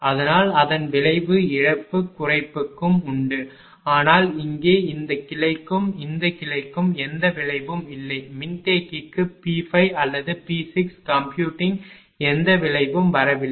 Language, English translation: Tamil, So, it effect is there also for loss reduction, but here for this branch and this branch there is no effect is coming for the capacitor whether computing P 5 or P 6 there is no effect is coming